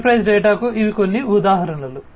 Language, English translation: Telugu, These are some of the examples of enterprise data